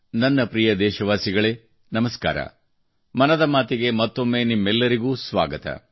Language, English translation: Kannada, Once again a warm welcome to all of you in 'Mann Ki Baat'